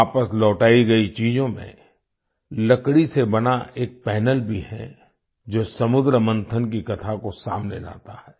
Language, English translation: Hindi, Among the items returned is a panel made of wood, which brings to the fore the story of the churning of the ocean